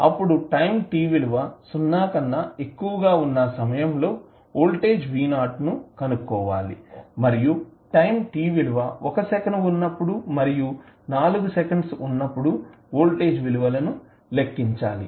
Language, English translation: Telugu, We have to find the voltage v naught at time t greater than 0 and calculate the value of time voltage at time t is equal to 1 second and 4 second